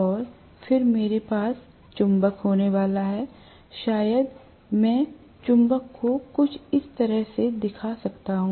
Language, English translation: Hindi, And then I am going to have the magnet, probably I can show the magnet somewhat like this